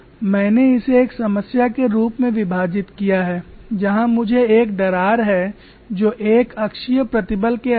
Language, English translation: Hindi, We will split this as one problem where we have a crack which is subjected to uniaxial tension